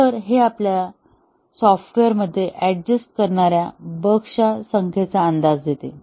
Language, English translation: Marathi, So, this gives us a very rough approximation of the number of bugs that are adjusting in the software